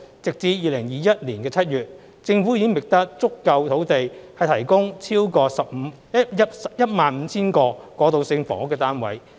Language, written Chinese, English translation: Cantonese, 截至2021年7月，政府已覓得足夠土地提供超過 15,000 個過渡性房屋單位。, As at July 2021 the Government has already identified sufficient land for the provision of over 15 000 transitional housing units